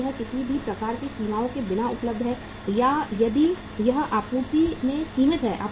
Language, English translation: Hindi, Is it available without any kind of the limitations or if it is limited in supply